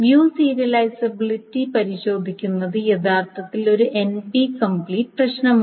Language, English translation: Malayalam, So testing for view serializability is actually an NP complete problem